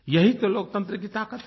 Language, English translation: Hindi, This is the real power of democracy